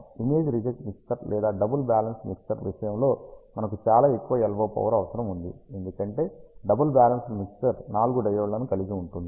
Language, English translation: Telugu, In case of image reject mixer or double balance mixer you have a very high LO power requirement, because double balanced mixer contains 4 diodes